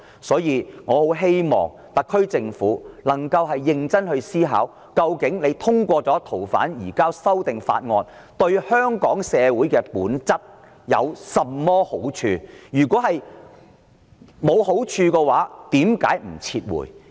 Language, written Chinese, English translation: Cantonese, 所以，我很希望特區政府能夠認真思考，究竟通過移交逃犯的修訂條例草案對香港社會的本質有甚麼好處。, Therefore I hope very much that the SAR Government can consider seriously what fundamental benefits to Hong Kong society can be derived from passing the Amendment Bill on the surrender of fugitive offenders